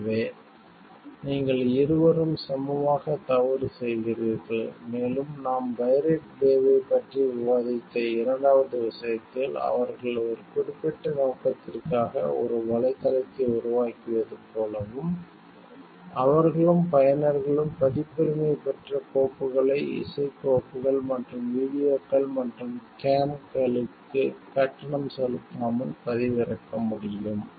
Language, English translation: Tamil, So, both part you are equally wrong and in the second case that we have discussed about the pirate bay, what we find over there is like they have made a website for a certain purpose and, they and the users are able to download copyrighted files, music files and videos and games without making payment for it